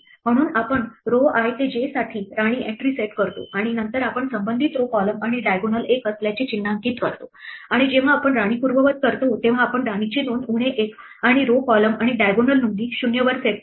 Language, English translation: Marathi, So, we set the queen entry for row i to j and then we mark the corresponding row column and diagonal to be one and when we undo a queen we set the queen entry to be minus 1 and the row column and diagonal entries to be 0; these are all exactly what we wrote in the pseudo code that has been formalized in python code